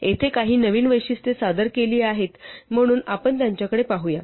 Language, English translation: Marathi, There are a couple of new features that are introduced here, so let us look at them